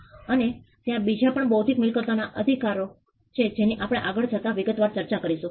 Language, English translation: Gujarati, And there are other intellectual property rights which we will discuss in some detail as we go by